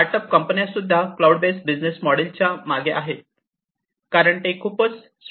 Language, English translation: Marathi, Startup companies are also falling back on the cloud based business models, because that becomes cheaper, that becomes cheaper